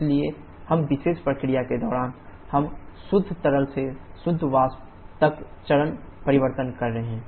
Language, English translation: Hindi, So, during this particular process we are having a change of phase from purely liquid to purely vapour